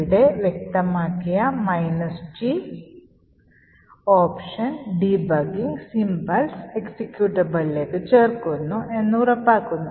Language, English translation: Malayalam, The minus G option that we specified over here ensures that debugging symbols get added into the executable